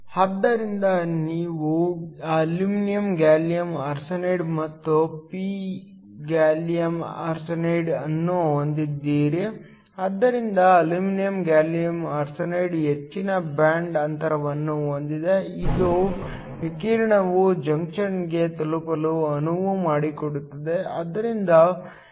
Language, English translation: Kannada, So, You have n aluminum gallium arsenide and p gallium arsenide, so aluminum gallium arsenide has a higher band gap once again it acts as a window in order to allow the radiation to reach the junction